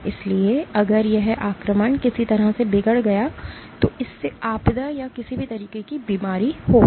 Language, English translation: Hindi, So, if this invasion was somehow perturbed then that would lead to disaster or any kind of disease